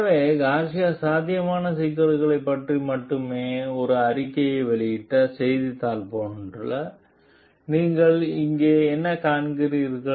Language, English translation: Tamil, So, what do you find over here like the news Garcia only made a statement about the potential problems